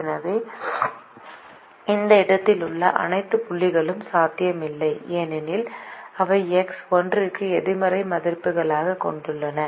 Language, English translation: Tamil, so all the points in this space are not feasible or infeasible because they have negative values for x one